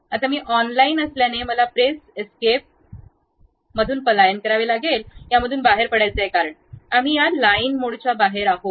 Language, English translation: Marathi, Now, because I am online I would like to really come out of that what I have to do press escape, escape, we are out of that line mode